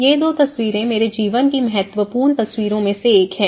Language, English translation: Hindi, These two photographs are one of the important photographs of my life